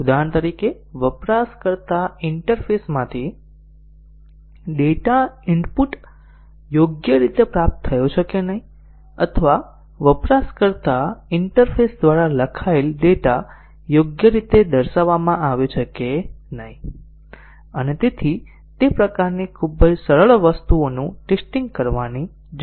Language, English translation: Gujarati, For example, whether data input from a user interface is correctly received or whether the data written by to a user interface is correctly shown and so on that kind of very simple things need to be tested